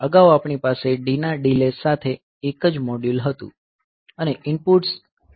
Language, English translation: Gujarati, So, previously we had a single module with a delay of D and the inputs were coming to that